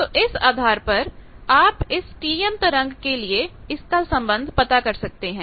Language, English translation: Hindi, So, based on that you can find, here we are for a T m wave we are finding that relationship